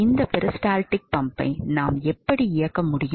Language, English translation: Tamil, So, this is how a peristaltic pump works so